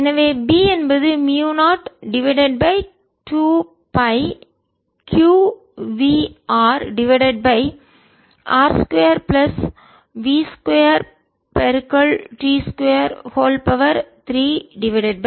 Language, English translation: Tamil, so b comes out to be mu naught divided by two pi, q v, r, r squared plus v square, t square, three by two